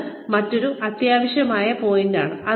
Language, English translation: Malayalam, Another, very essential point